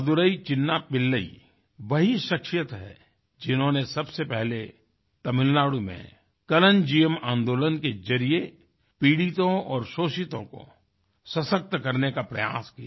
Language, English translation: Hindi, Madurai Chinna Pillai is the same person who at first tried to empower the downtrodden and the exploited through the Kalanjiyam movement in Tamil Nadu and initiated community based microfinancing